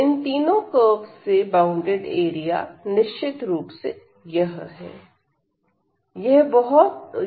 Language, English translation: Hindi, So, the region bounded by all these 4 curves is this one